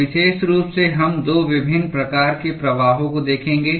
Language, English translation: Hindi, So, in particular, we will look at 2 different types of flows